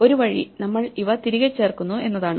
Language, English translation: Malayalam, So, one way is that we just add these back